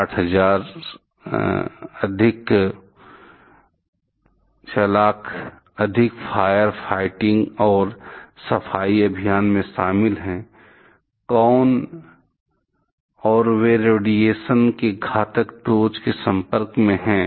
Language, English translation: Hindi, 600,000 more are involved in firefighting and clean up operations; who and they are exposed to high doses of radiation